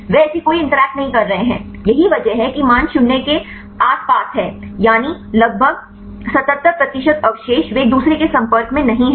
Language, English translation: Hindi, They are not making any interactions that is the reason why the values are around 0, that is about 77 percent of the residues they are not in contact with each other fine